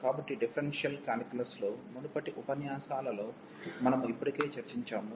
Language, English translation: Telugu, So, we already discuss in previous lectures in differential calculus